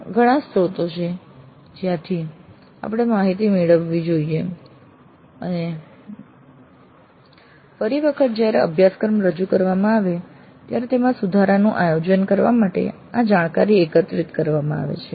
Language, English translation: Gujarati, So there are multiple sources from which we should get information and this information is all pulled together to plan the improvements for the course the next time is delivered